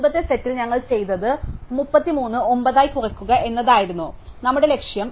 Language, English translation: Malayalam, So, our goal is to reduce 33 to 9, which we did in the previous set